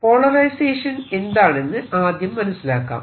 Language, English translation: Malayalam, so let us first understand what does polarization mean